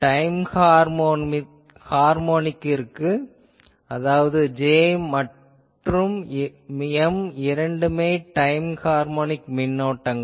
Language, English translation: Tamil, Time harmonic case; that means, both J and M are time harmonic currents